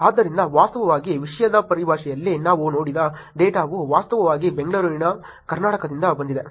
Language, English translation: Kannada, So, in terms of actually the theme itself the data that we looked at is actually from Bangalore, Karnataka